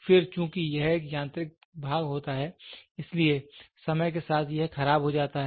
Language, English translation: Hindi, Then since it has a moving mechanical part over a period of time, it gets wear and tear